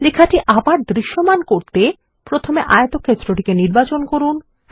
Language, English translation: Bengali, To make the text visible, first select the rectangle